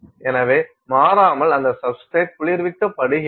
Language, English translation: Tamil, So, in invariably that substrate is cooled